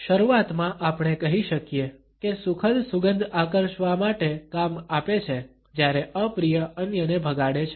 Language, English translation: Gujarati, At the outset we can say that pleasant smells serve to attract whereas, unpleasant ones repel others